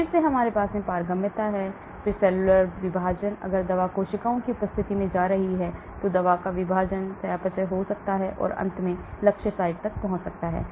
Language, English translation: Hindi, Then again we have the permeability, then cellular partitioning, if the drug is going in the presence of cells there could be partitioning of the drug, metabolism happening and finally reaching target site